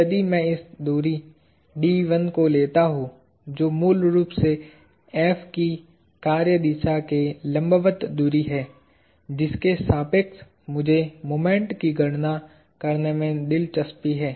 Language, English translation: Hindi, If I take this distance d 1, which is basically the perpendicular distance of the line of action F to the point about which I am interested in computing the moments